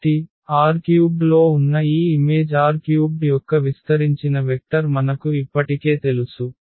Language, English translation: Telugu, So, we know already the spanning vector of this image R 3 which is in R 3